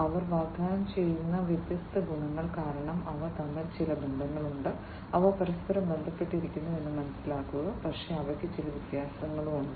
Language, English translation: Malayalam, Because of different advantages that they offer, there you know they are, there they have some relationship between them they are interlinked, but they are they have some distinct differences